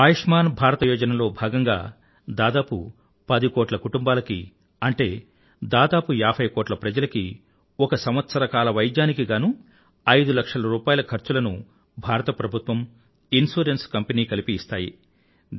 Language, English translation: Telugu, Under 'Ayushman Bharat Yojana ', the Government of India and insurance companies will jointly provide 5 lakh repees for treatment to about 10 crore families or say 50 crore citizens per year